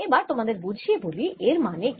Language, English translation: Bengali, let us understand what it means